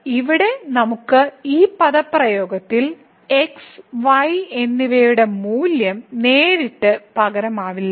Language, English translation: Malayalam, But here so we cannot substitute thus directly the value of and in this expression